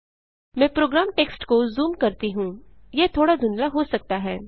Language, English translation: Hindi, Let me zoom the program text it may possibly be a little blurred